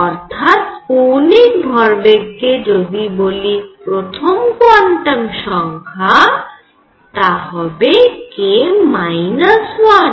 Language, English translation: Bengali, So, if I call this angular momentum quantum number l, it should be actually k minus 1